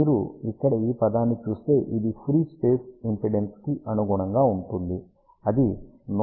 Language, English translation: Telugu, You can see over here this term here correspond to free space impedance, which is 120 multiplied by pi or equivalent to 377 ohm